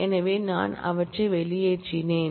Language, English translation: Tamil, So, I have struck them out